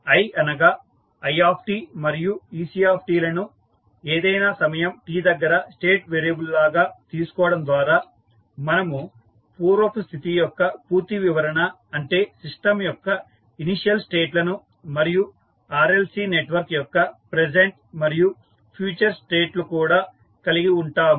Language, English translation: Telugu, So, by assigning i and i t and ec at any time t as the state variable, we can have the complete description of the past history that is the initial states of the system and the present and future states of the RLC network